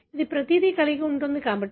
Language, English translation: Telugu, H; it has got everything